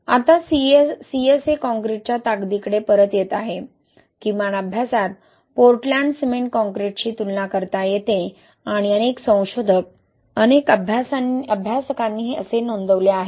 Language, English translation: Marathi, Now coming back to the strength, right, the strength of CSA concrete, at least in the study was comparable to Portland cement concrete, and many researchers, many studies have reported that